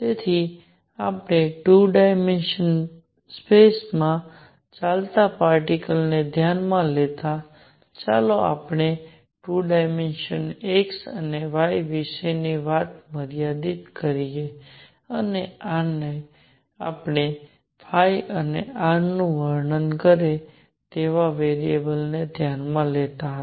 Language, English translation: Gujarati, So, we considered a particle moving in 2 dimensional space; let us just confined our say as to 2 dimension x and y and we considered the variables that describes phi and r